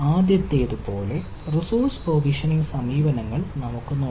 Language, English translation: Malayalam, let us see at the resource provisioning approaches, like ah